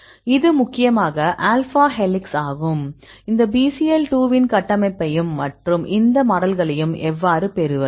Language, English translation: Tamil, This is mainly alpha helixes you can see the structure of this Bcl 2 and how to get these models